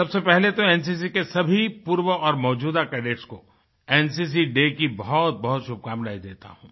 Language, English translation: Hindi, At the outset on the occasion of NCC, Day, I extend my best wishes to all NCC Cadets, both former & present